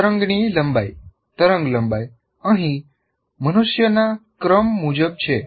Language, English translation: Gujarati, The length of the wave, wavelength here is roughly the order of human being